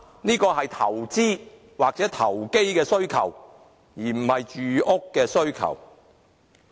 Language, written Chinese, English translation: Cantonese, 這是投資或投機的需求，而不是住屋需求。, This is an investment or speculation need not a housing need